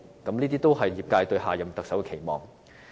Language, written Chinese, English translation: Cantonese, 這也是業界對下任特首的期望。, This is also an expectation for the next Chief Executive held by the medical sector